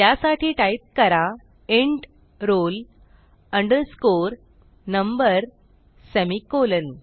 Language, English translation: Marathi, So, I will type int roll underscore number semicolon